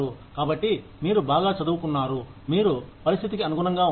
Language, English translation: Telugu, So, you are well educated, and you adapt to the situation